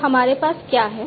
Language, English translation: Hindi, So, we have what